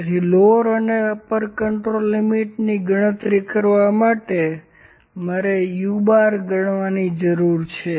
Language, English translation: Gujarati, So, to calculate the lower and the upper control limits I need to calculate the u bar